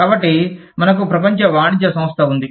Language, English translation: Telugu, So, we have the, World Trade Organization